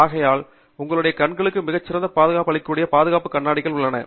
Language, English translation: Tamil, So, therefore, we have safety glasses which do a much better coverage of your eyes